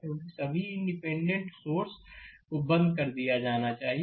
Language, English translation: Hindi, Because, all independent sources must be turned off